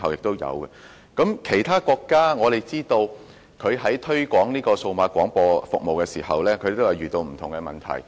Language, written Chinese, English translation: Cantonese, 我們知道，其他國家在推廣數碼廣播服務時也遇到不同問題。, We understand that the countries have encountered different problems in developing DAB services